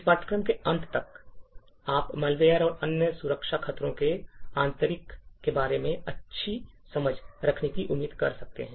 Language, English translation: Hindi, So what you can expect by the end of this course is that you will have a good understanding about the internals of malware and other security threats